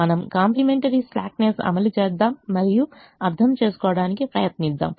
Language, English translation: Telugu, we will apply complimentary slackness and try to understand